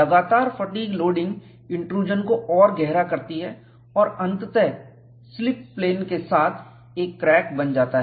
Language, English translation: Hindi, Continued fatigue loading deepens the intrusion and eventually, the formation of a crack, along the slip plane